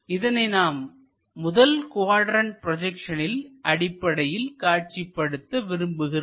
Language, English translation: Tamil, Let us call and we would like to visualize this in the first quadrant projection